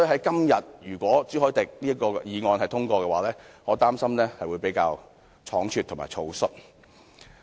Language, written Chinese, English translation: Cantonese, 因此，如果朱凱廸議員這項議案今天獲得通過，我擔心會比較倉卒和草率。, For these reasons I would worry for the Bill being handled hastily and rashly if Mr CHU Hoi - dicks motion were passed today